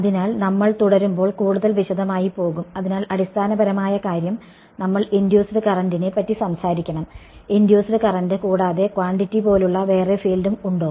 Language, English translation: Malayalam, So, when we continue we will go more into detail, but the basic point is that we should talk about an induced current in addition to induce current is there any other field like quantity here